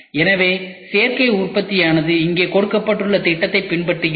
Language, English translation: Tamil, So, Additive Manufacturing if you see, it follows the schematic which is given here